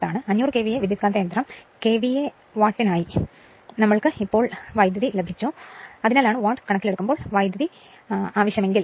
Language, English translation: Malayalam, We also got the current now for 500 KVA transformer KVA watt given that is why, but if you want power in terms of watt